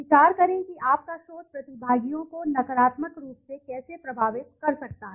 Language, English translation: Hindi, Consider how your research might negatively affect participants